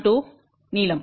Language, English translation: Tamil, 12 inches length